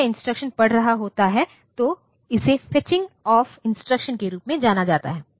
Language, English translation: Hindi, When it is reading the instruction, this is known as the fetching of instruction